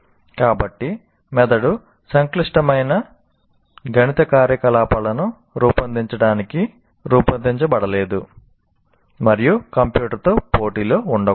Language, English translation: Telugu, So brain is not designed to perform complex mathematical operations and cannot be in competition with the computer